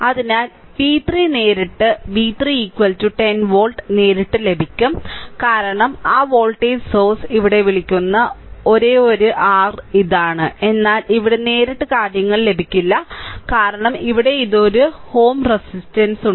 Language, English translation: Malayalam, So, v 3 directly you will get v 3 is equal to 10 volt right v 3 is equal to 10 volt directly you will get it because this is the only your what you call that voltage source here, but here here you will you will not get the things directly right because here one ohm resistance is there